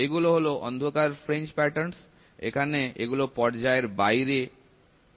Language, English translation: Bengali, So, these are dark fringe patterns; where they are out of phase